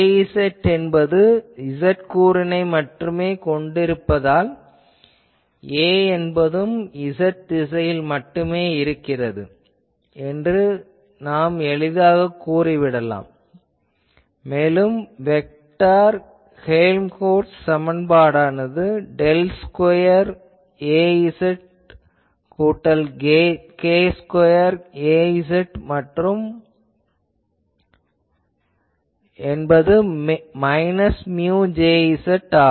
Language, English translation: Tamil, So, we can easily say that A will also be z directed and vector Helmholtz equation turns to be that del square Az plus k square Az is equal to minus mu sorry, minus mu Jz